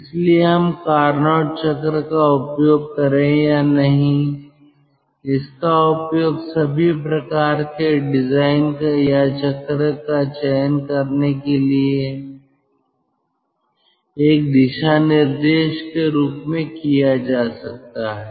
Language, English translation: Hindi, so this, whether we use carnot cycle or not, this can be used as a guideline for designing or selecting a cycle